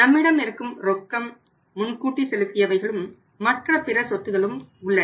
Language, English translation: Tamil, We have cash also you have advance payment also we have some other things also